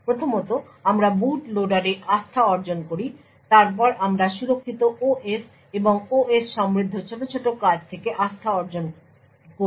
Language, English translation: Bengali, First we obtain trust in the boot loader then we obtain trust in the secure OS and from the, the rich OS tasklet and so on